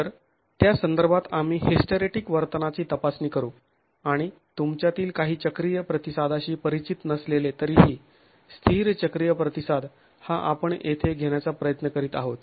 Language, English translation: Marathi, So it is in that context we will start examining hysteretic behavior and though some of you may not be familiar with cyclic response, static cyclic response is what we are trying to capture here